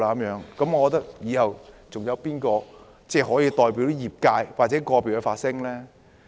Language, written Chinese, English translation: Cantonese, 如是者，以後還有誰可以代表個別業界發聲？, If so who will represent the views of individual sector in future?